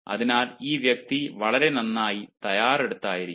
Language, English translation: Malayalam, so this person will be more than ready